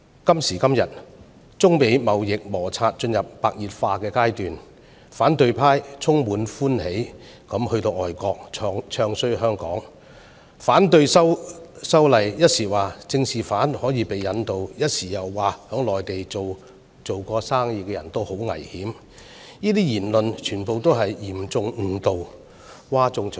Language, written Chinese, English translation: Cantonese, 今時今日，中美貿易摩擦進入白熱化階段，反對派充滿歡喜地到外國"唱衰"香港、反對修例，一時說政治犯可以被引渡，一時又說曾在內地做生意的人十分危險，這些言論全部是嚴重誤導，譁眾取寵。, Their actions have seriously damaged the image of the Council and Hong Kong as a whole . Amidst the heated trade friction between China and the United States presently the opposition camp took delight in going to foreign countries to badmouth Hong Kong and object to the Bill . At one time they claimed that political offences would be extraditable and at another they said businessmen in the Mainland would be most vulnerable